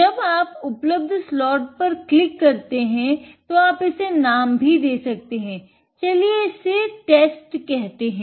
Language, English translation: Hindi, When you click an available one, you can give it a name, let us call it test